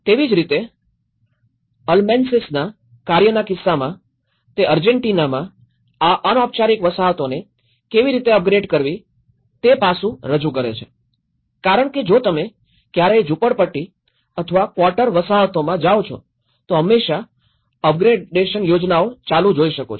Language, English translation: Gujarati, Like, this is in case of Almansi’s work where the Argentina aspect how to upgrade the informal settlements because if you ever go to slums or quarter settlements always an up gradation plans keep ongoing